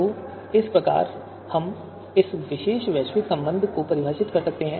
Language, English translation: Hindi, So this is how we can define this particular you know you know global relation